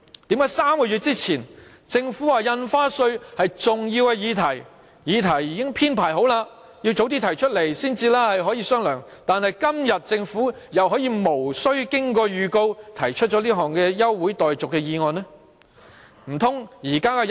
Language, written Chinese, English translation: Cantonese, 為何3個月前政府說印花稅是重要議題，議程已經編排好了，調動議程的要求要早點提出來才可以商量，但今天政府又可以無經預告提出這項休會待續議案？, Three months ago the Government said that stamp duty was an important issue and that consideration would only be given if the request to rearrange the agenda items was made earlier as the order of business for the meeting was already set; why then can the Government now move without notice an adjournment motion?